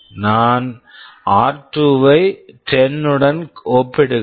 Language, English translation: Tamil, I am comparing r2 with 10